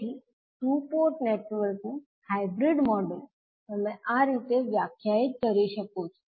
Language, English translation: Gujarati, So, hybrid model of a two Port network you can define like this